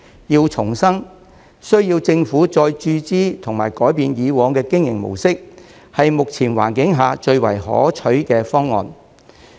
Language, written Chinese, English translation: Cantonese, 要重生，需要政府再注資及改變以往的經營模式，是目前環境下最為可取的方案。, To revive OP it requires further government injections and changes to the past modus operandi and this is the most desirable option under the current circumstances